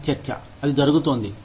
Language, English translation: Telugu, That is a debate, that is going on